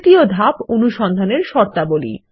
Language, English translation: Bengali, Step 3 Search Conditions